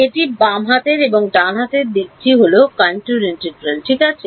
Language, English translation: Bengali, This is the left hand side and the right hand side is that contour integral ok